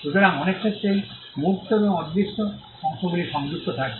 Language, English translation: Bengali, So, in many cases that tangible and the intangible parts are connected